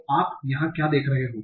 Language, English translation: Hindi, So, what are you seeing here